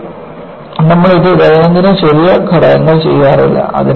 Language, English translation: Malayalam, But, you do not do it for day to day small components